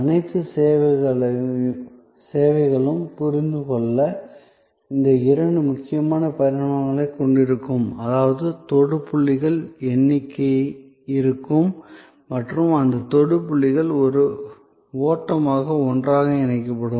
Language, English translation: Tamil, ) Therefore, all services will have these two major dimensions to understand; that means there will be number of touch points and those touch points will be linked together as a flow